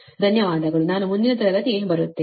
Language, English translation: Kannada, thank you, i am coming to next